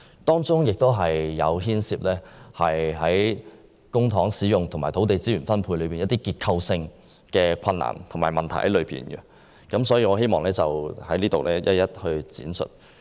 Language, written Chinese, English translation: Cantonese, 這項計劃在公帑使用和土地資源分配方面，亦有一些結構性困難和問題，我希望在此一一闡述。, In respect of the use of public money and allocation of land resources under the plan there are certain structural difficulties and problems which I want to expound one by one